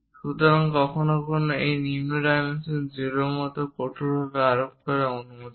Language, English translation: Bengali, So, sometimes this lower dimensions supposed to be strictly imposed like 0